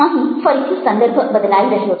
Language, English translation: Gujarati, the context has changed